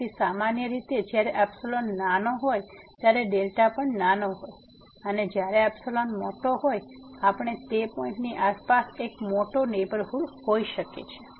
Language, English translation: Gujarati, So, usually when the epsilon is a small, the delta is also small and when the epsilon is big, we can have a big neighborhood around that point